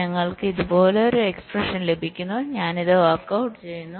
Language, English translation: Malayalam, so we get an expression like this i am just to working this out